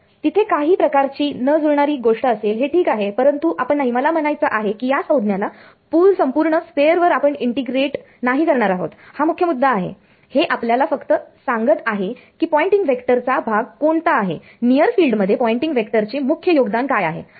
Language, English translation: Marathi, So, there will be some sort of mismatch over here that is ok, but we are not I mean the main point is we are not going to integrate this term over the whole sphere this is just telling us what is the dominant part of the Poynting vector what is the main contribution to Poynting vector in the near field